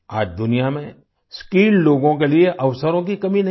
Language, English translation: Hindi, There is no dearth of opportunities for skilled people in the world today